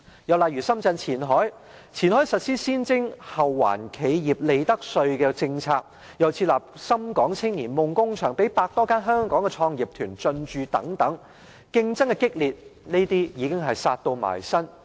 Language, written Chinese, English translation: Cantonese, 又例如深圳前海，前海實施先徵後還企業利得稅的政策，又設立深港青年夢工場，讓百多間香港創業團隊進駐，激烈之競爭已是迫在眉睫。, Another example is Qianhai Shenzhen . Qianhai has implemented a corporate income tax policy enabling enterprises to get a tax refund after tax payment . In addition it has established the Shenzhen - Hong Kong Youth Innovation Hub which houses some 100 Hong Kong start - up teams